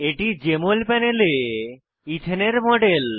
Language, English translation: Bengali, Here is the Jmol panel with a model of ethane